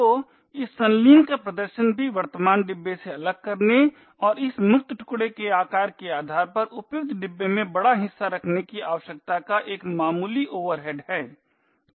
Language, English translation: Hindi, So performing this coalescing also has a slight overhead of requiring to unlink from the current pin and placing the larger chunk in the appropriate bin depending on the size of this free chunk